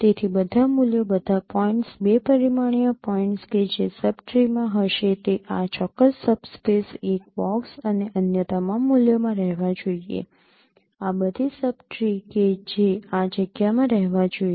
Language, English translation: Gujarati, So all the values, all the points, two dimensional points which are which will be the sub tree should lie in this particular subspace box and all other values, all the subtries that should lie in this space